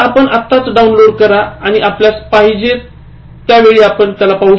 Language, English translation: Marathi, So, you just download, and you are watching it, the time that you want